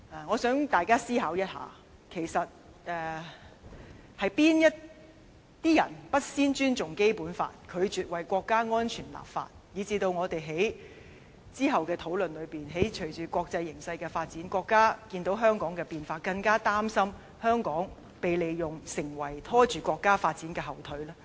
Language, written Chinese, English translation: Cantonese, 我希望大家思考一下，其實是那些人不先尊重《基本法》，拒絕為國家安全立法，以致我們於之後的討論中，隨着國際形勢的發展，國家看到香港的變化，更加擔心香港被利用而拖着國家發展後腿呢？, I hope Members can think about it . Who were the ones that disrespected the Basic Law and refused to enact legislation for national security in the first place? . This eventually aggravates the nations concern that Hong Kong could probably be used to obstruct the nations development after witnessing the changes in the city against the backdrop of a changing international climate